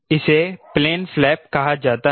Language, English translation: Hindi, ok, now this is called plane flap